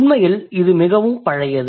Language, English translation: Tamil, It is actually very, very old